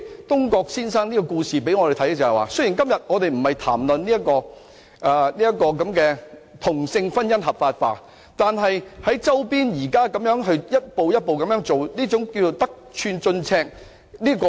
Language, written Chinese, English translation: Cantonese, 東郭先生的故事告訴我們，雖然我們今天不是談論同性婚姻合法化，但周邊現時一步一步在進行，這是得寸進尺。, This story about Mr Dongguo tells us that although we are not discussing the legalization of same - sex marriage today some people around us are advancing step by step as if they are taking a yard after being given an inch